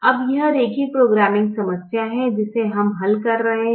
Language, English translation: Hindi, now, this is the linear programming problem that we are solving